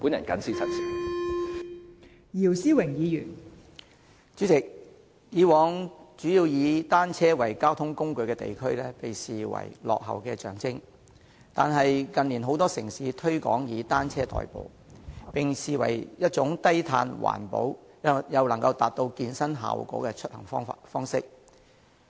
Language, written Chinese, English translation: Cantonese, 代理主席，以往以單車作為主要交通工具的地區，被視為落後的象徵，但近年很多城市推廣以單車代步，並視為一種低碳、環保，又能達到健身效果的出行方式。, Deputy President in the past a place using bicycles as a major mode of transport would be regarded as backward but in recent years many cities have promoted commuting by bicycles and considered it a low - carbon and environmentally friendly means of travelling which can also achieve the effects of working out